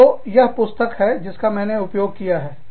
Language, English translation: Hindi, So, this is the book, that i am using